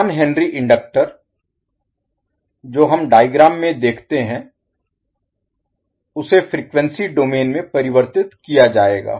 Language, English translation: Hindi, So what will happen, the 1 henry inductor which we see in the figure will be converted into the frequency domain